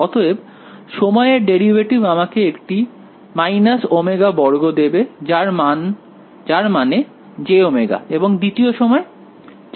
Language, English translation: Bengali, So, that time derivate give me a minus omega square I mean j omega and the second time